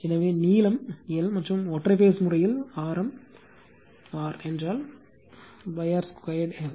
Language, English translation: Tamil, So, if length is l and the single phase case if r is the radius, so pi r square l right